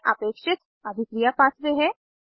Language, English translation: Hindi, Reaction path is created